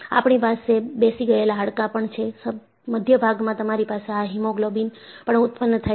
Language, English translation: Gujarati, We also have hollow bones, the center portion, you have this hemoglobin is generated